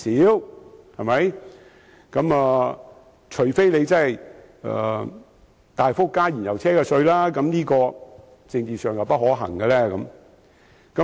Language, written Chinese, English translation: Cantonese, 要達到這目標，唯有大幅增加燃油車稅款，但這在政治上並不可行。, The only way to achieve this objective is to introduce a drastic increase in tax for fuel - engined vehicles but this is politically not feasible